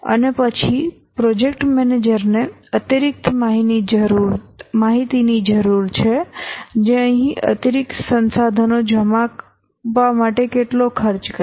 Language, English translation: Gujarati, And then the project manager needs additional information that deploying additional resources here costs how much